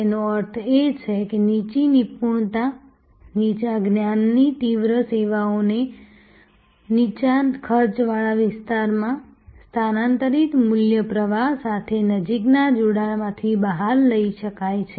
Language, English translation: Gujarati, That means, the lower expertise, lower knowledge intense services to the extent they could be taken out of the closer connection with the value stream migrated to lower cost areas